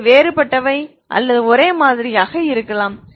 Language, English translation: Tamil, They are same or they are distinct or same can be same